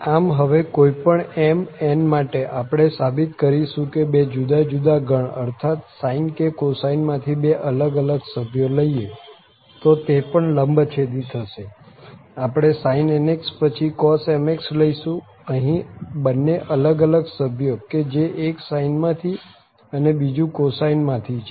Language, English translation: Gujarati, So, for any integer m and n we will show now that any two members of the two different family means sine and cosine they are also orthogonal, so we take sin nx and then the cos mx, the two here the two members the two different members, so one from sine and other from cosine